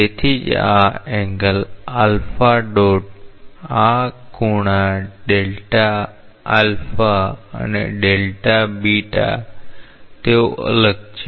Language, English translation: Gujarati, That is why these angles alpha dot this angles delta alpha and delta beta they are different